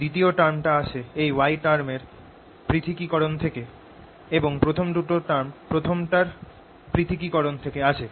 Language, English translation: Bengali, the second term, this term here comes from the differentiation of this y term and a first two terms come from the differentiation of the first